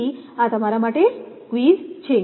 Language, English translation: Gujarati, So, this is a quiz to you